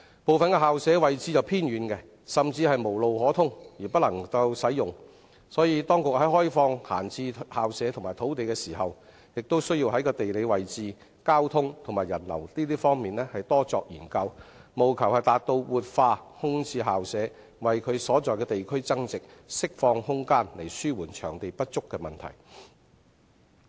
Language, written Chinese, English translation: Cantonese, 部分校舍位置偏遠，甚至無路可通而不能使用，所以當局在開放閒置校舍及土地時，也要在地理位置、交通和人流等方面多作研究，務求達到活化空置校舍、為其所在地區增值，釋放空間以紓緩場地不足的問題。, Given the remoteness and poor accessibility of some idle school premises before opening up the vacant school premises and land sites the authorities should conduct more studies concerning their geographical locations transportation and people flow so as to revitalize the vacant school premises add value to their respective districts and release space to alleviate the problem of venue shortage